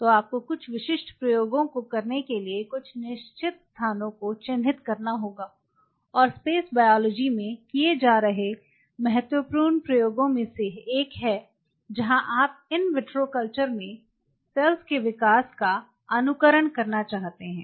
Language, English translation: Hindi, So, you have to curve out and each of certain spots to have certain specific experiment and one of the critical experiments what is being done in space biology is where you wanted to simulate the growth of cells in an in vitro culture